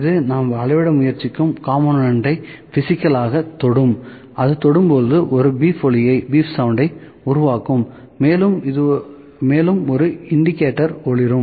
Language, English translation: Tamil, It will physically touch the component that we are trying to measure, it will touch and it will produce a beep sound and also an indicator would blink